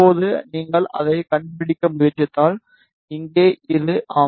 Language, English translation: Tamil, Now, if you try to locate it, so here this is rin yes